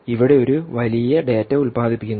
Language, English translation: Malayalam, you have a huge amount of data which is being generated